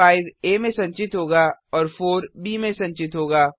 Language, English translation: Hindi, 5 will be stored in a and 4 will be stored in b